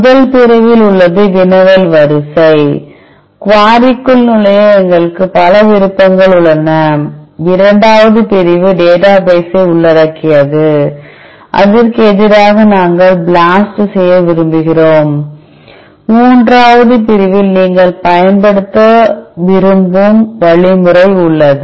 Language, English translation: Tamil, The first section contains the query sequence, where we have multiple option to enter the quarry, the second section consists of the database the target database against which we want to BLAST and, third section consists the algorithm which you want to use